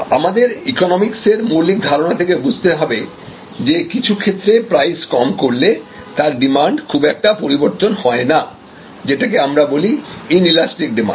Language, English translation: Bengali, One thing, we have to remember from fundamental economies lesson than that in some case, a reduction in prices will actually cause very little change in the demand, this is called the inelastic demand